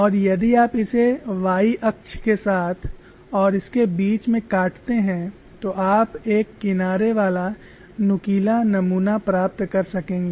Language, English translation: Hindi, If you cut it along the y axis and in between this, you will be able to get a single edge notched specimen